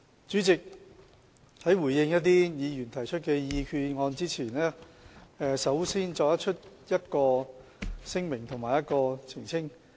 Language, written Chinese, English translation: Cantonese, 主席，在回應議員提出的決議案之前，我首先作出一項聲明和一項澄清。, President before responding to the resolutions proposed by Members I will first make a declaration and a clarification